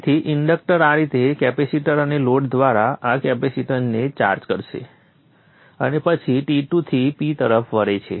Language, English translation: Gujarati, So the inductor will charge up this capacitance in this way through the capacitor and the load and then go from T to P